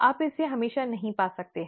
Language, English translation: Hindi, You may not always find it